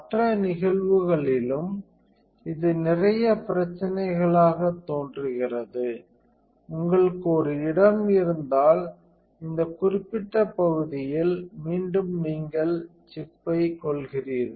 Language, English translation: Tamil, In other cases also it look a lot of problem, if you have a spot then this particular area again you are killing the chip